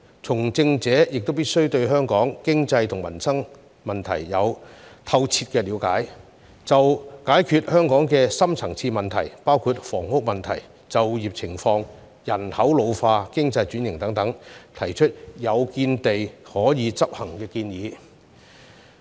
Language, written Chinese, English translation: Cantonese, 從政者亦必須對香港經濟和民生問題有透徹了解，就解決香港的深層次問題，包括房屋問題、就業情況、人口老化、經濟轉型等，提出有見地和可以執行的建議。, Politicians must thoroughly understand the problems pertaining to the economy and peoples livelihood in Hong Kong and put forward discerning and practicable suggestions for resolving the deep - seated problems in Hong Kong in such respects as housing employment ageing population economic restructuring and so on